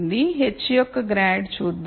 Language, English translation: Telugu, Let us look at grad of h